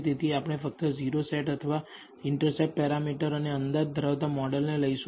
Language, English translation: Gujarati, So, we will first take the model containing only the o set or the intercept parameter and estimate